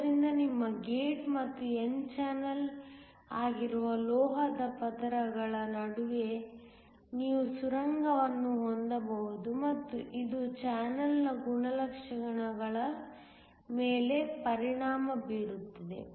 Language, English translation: Kannada, So, that you can have tunneling between the made metal layers which is your gate and the n channel and this will affect the properties of the channel